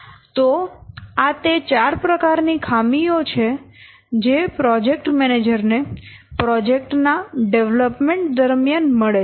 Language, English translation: Gujarati, So, these are the what four types of shortfalls that project manager normally concerned with during development of a project